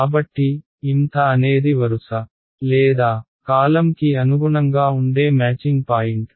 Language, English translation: Telugu, So, m th is the matching point which corresponds to the row or the column